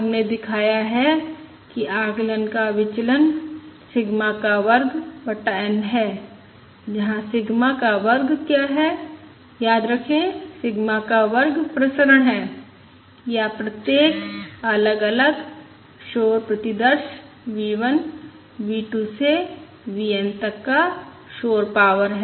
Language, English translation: Hindi, We have shown that the variance of the estimate is sigma square divided by n, where what is sigma square remember sigma square is the variance or the noise power of each of the individual noise samples: V 1, V, 2, up to V n